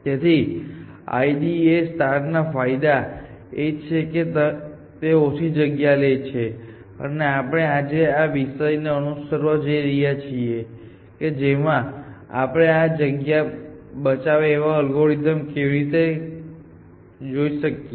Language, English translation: Gujarati, So, the advantages of I D A star is that it needs less space and this is the theme that we are going to follow today, how can we look at space saving algorithms, but what is a disadvantage that you can think of